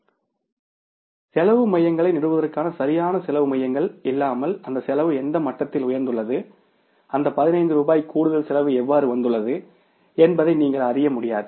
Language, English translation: Tamil, Now at what level that cost has gone up without any proper cost centers or establishing the cost centers you won't be able to know that how that 15 rupees extra cost has come up